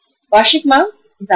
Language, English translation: Hindi, Annual demand is this much